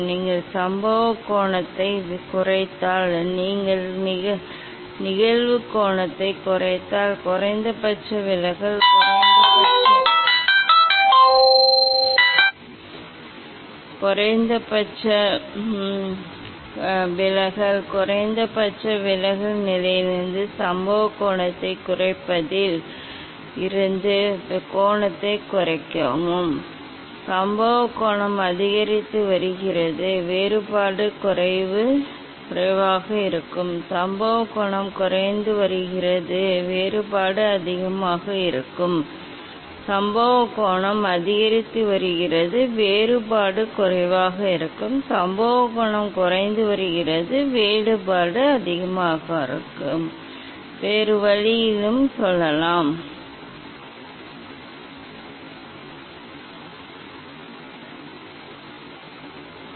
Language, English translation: Tamil, And if you decrease the incident angle; if you decrease the incident angle then the minimum deviation, decrease the angle from the decrease the incident angle from the minimum deviation position then the divergence will be more, incident angle is increasing, divergence will be less; incident angle is decreasing, divergence will be more, we can tell in other way also if just; what the things I told that will understand here